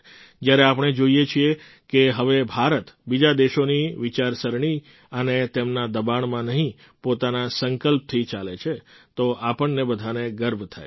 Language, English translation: Gujarati, When we observe that now India moves ahead not with the thought and pressure of other countries but with her own conviction, then we all feel proud